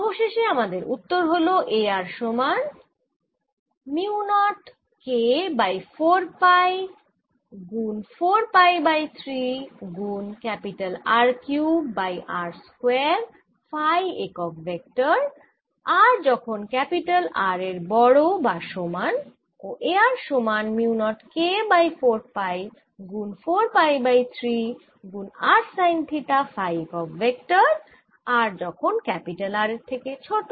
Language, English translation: Bengali, so in the final answer i have: a r equals mu naught k over three r cubed over r square sine theta phi unit vector for r greater than equal to r and is equal to mu naught k over three r sine theta phi for r lesser than r